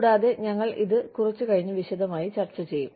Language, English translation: Malayalam, And, we will go into detail, a little later